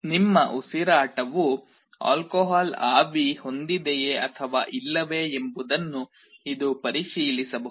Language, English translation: Kannada, It can check whether your breath that is coming out contains means alcohol vapor or not